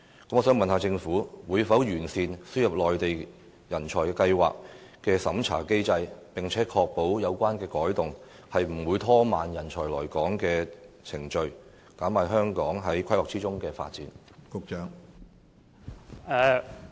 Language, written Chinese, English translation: Cantonese, 我想問政府會否完善輸入計劃的審查機制，並確保有關的改動不會拖慢人才來港的程序，因而減慢香港在規劃中的發展？, I would like to ask whether the Government will enhance the vetting mechanism of ASMTP and ensure that there is no delay in the importation of talents to Hong Kong as it may stall our development under planning